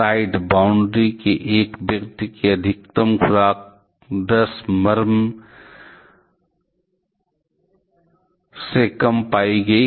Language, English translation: Hindi, The maximum dosage to a person at the side boundary was found to be less than 100 mrem